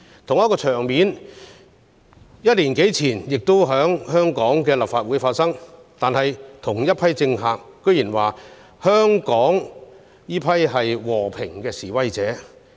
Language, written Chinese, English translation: Cantonese, 同一個場面，一年多前亦在香港的立法會出現，但同一批政客卻說香港那些人是和平示威者。, The same scene appeared in the Legislative Council in Hong Kong more than a year ago but those Hong Kong people taking part in the incident were called peaceful protesters by the same politicians